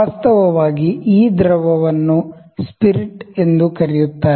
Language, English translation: Kannada, Actually this fluid, fluid is also known as spirit